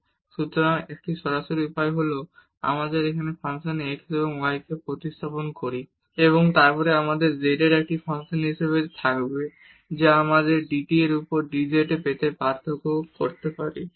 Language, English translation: Bengali, So, one direct way would be that we substitute this x and y here in this function and then we will have z as a function of t which we can differentiate to get dz over dt